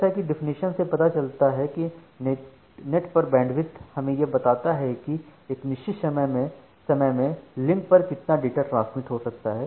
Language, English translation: Hindi, So, by definition as you know that the network bandwidth is the amount of data that can be transmitted over a link within a fixed amount of time